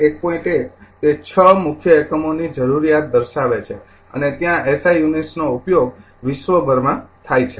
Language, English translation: Gujarati, 1 it shows the 6 principal units you needs and there symbols the SI units are use through the throughout the world right